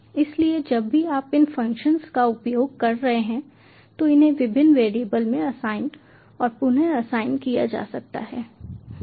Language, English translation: Hindi, so whenever you are ah these using these functions, these can be assigned and reassigned to various variables